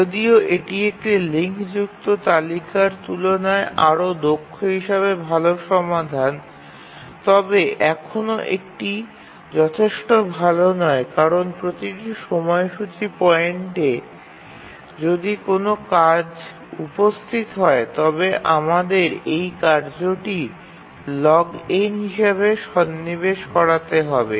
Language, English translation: Bengali, But you can see that this is a better solution than a linked list, more efficient, but then still it is not good enough because at each scheduling point we need to, if a task arrives, we need to insert the task in the heap which is log n